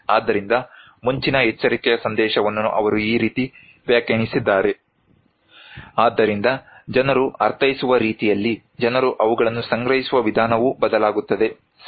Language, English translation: Kannada, So, he interpreted the message of early warning this way, so that way people interpret, way people perceive them is varies, right